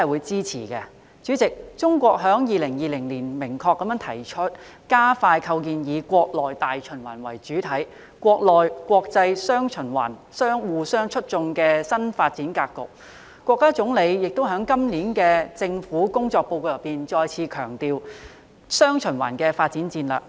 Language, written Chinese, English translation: Cantonese, 主席，中國在2020年明確提出"加快構建以國內大循環為主體、國內國際雙循環相互促進"的新發展格局，國家總理亦在今年的《政府工作報告》再次強調"雙循環"的發展戰略。, President in 2020 China has clearly proposed to accelerate the establishment of the new development pattern featuring dual circulation which takes the domestic market as the mainstay while enabling domestic and foreign markets to interact positively with each other . The Premier also reiterated the development strategy of dual circulation in his Government Work Report this year